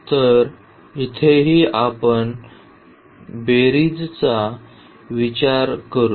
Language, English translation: Marathi, So, here as well so, we will consider this sum now